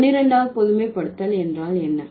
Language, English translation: Tamil, What is the 12th generalization